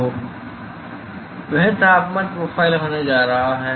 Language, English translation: Hindi, So, that is going to be the temperature profile